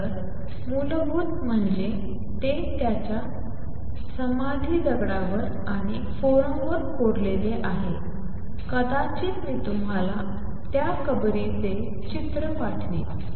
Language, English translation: Marathi, So, fundamental that it is also engraved on his tombstone and over the forum maybe I will send you a picture of that tombstone